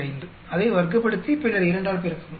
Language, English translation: Tamil, 45, square it up and then multiply by 2